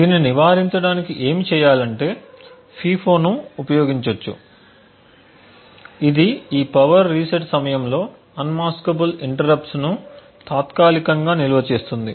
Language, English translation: Telugu, In order to prevent this what needs to be done is a FIFO can be used which would temporarily store the unmaskable interrupts during this power reset time